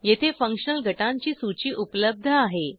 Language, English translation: Marathi, A list of functional groups is available here